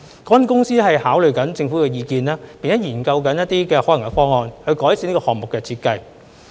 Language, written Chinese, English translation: Cantonese, 港鐵公司正在考慮政府的意見，並正研究一些可行方案，以改善這個項目的設計。, MTRCL is considering the Governments comments and is exploring feasible options to improve the design of the project